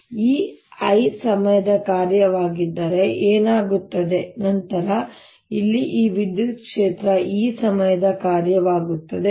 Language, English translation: Kannada, if this i is a function of time, then this electric field here, e, becomes a function of time, right